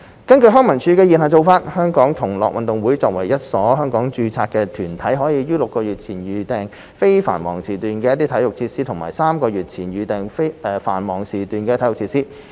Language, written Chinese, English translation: Cantonese, 根據康文署的現行做法，"香港同樂運動會"作為一所香港註冊團體，可於6個月前預訂非繁忙時段的體育設施及於3個月前預訂繁忙時段的體育設施。, In accordance with LCSDs current practice the Gay Games Hong Kong may as a locally registered organization reserve non - peak slots and peak slots of sports facilities up to six months and three months in advance respectively